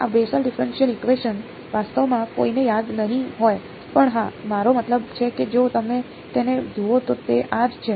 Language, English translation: Gujarati, This Bessel differential equation no one will actually remember, but yeah I mean if you look it up this is what it is